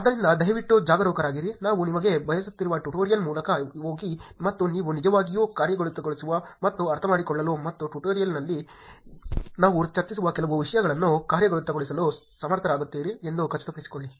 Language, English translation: Kannada, So, please be careful, go through the tutorial that we are providing you and make sure that you are able to actually execute and understand and also implement some of the things that we discuss in the tutorial